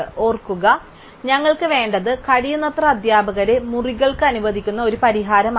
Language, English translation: Malayalam, Remember that all we want is a solution which allocates as many teachers as possible to rooms